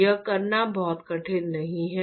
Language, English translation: Hindi, It is not very difficult to do